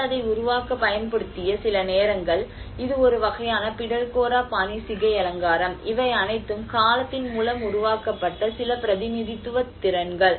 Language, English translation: Tamil, In fact, some point of the time people also used to make it, this is a kind of Pitalkhora style of hairstyle you know, these are all some representative skills which has been developed through time